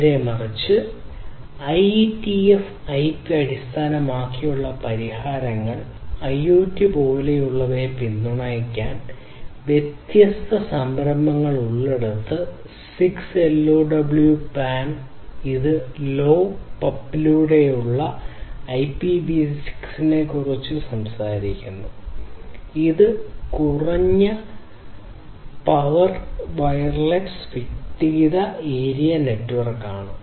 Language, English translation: Malayalam, On the contrary, we have IETF IP based solutions; where there are different different initiatives to support IoT like; the 6LoWPAN; which talks about IPv6 over LoWPAN which is low power wireless personal area network